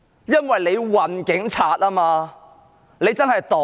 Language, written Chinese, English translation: Cantonese, 因為它運送警察，它真的是"黨鐵"。, Because it provided conveyance for the Police and it is really the Communist Partys railway